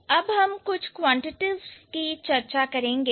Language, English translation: Hindi, Now we are going to look for something quantitative